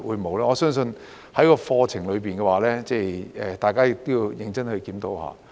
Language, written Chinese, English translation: Cantonese, 我相信在課程方面，大家要認真檢討一下。, I think the curriculum warrants a serious review by us